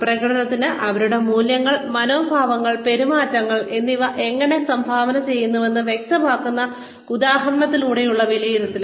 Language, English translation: Malayalam, Appraisal through generation of examples by examples that demonstrate, how their values, attitudes, and behaviors, contributed towards performance